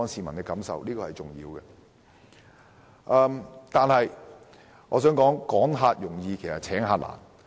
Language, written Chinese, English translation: Cantonese, 我也想指出，"趕客容易請客難"。, I wish to also point out that driving tourists away is easy inducing them back is much harder